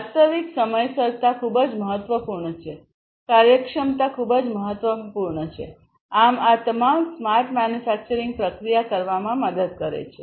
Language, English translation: Gujarati, Real timeliness is very important, efficiency is very important; so all of these help in having smart manufacturing processes